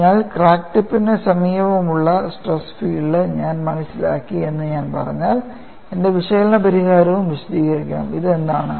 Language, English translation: Malayalam, So, if I say that I have understood the stress field in the vicinity of the crack tip, my analytical solution should also explain, what is this